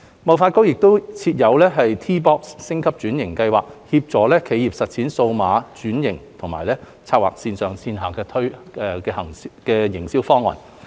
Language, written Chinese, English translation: Cantonese, 貿發局亦設有 T-box 升級轉型計劃，協助企業實踐數碼轉型及籌劃線上線下營銷方案。, HKTDC has also established a Transformation Sandbox programme to help enterprises carry out digital transformation and devise online - offline marketing plans